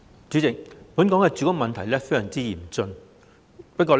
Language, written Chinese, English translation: Cantonese, 主席，本港住屋問題非常嚴峻。, President the housing problem in Hong Kong is acute